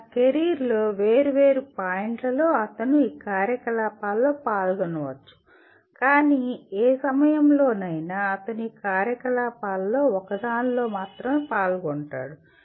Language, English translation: Telugu, Maybe at different points in his career he may be involved in these activities, but by and large at any given time he is involved in one of these activities